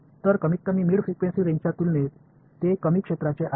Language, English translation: Marathi, So, they are short range relative to at least the mid frequency range